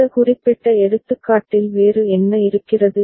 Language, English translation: Tamil, And what else is there in this particular example